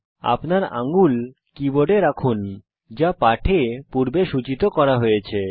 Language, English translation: Bengali, Place your fingers on the keyboard as indicated earlier in the lesson